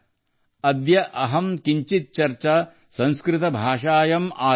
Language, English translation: Kannada, Adya Aham Kinchhit Charcha Sanskrit Bhashayaam Aarabhe